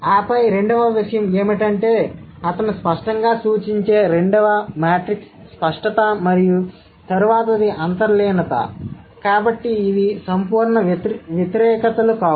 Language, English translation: Telugu, And then the second thing is that the second matrix that he would suggest the explicitness and then the implicitness are therefore no absolute opposites